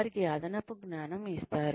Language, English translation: Telugu, They are given additional knowledge